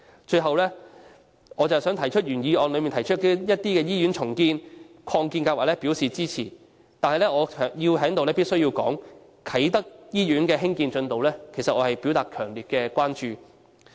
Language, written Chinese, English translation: Cantonese, 最後，我想就原議案提及的一些醫院重建和擴建計劃表示支持，但我必須在此對啟德醫院的興建進度表達強烈關注。, In closing I wish to express my support for the redevelopment and expansion projects of some hospitals mentioned in the original motion but here I must express my strong concern for the progress of construction of the Kai Tak Hospital